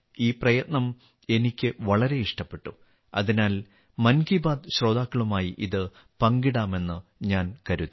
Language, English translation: Malayalam, I liked this effort very much, so I thought, I'd share it with the listeners of 'Mann Ki Baat'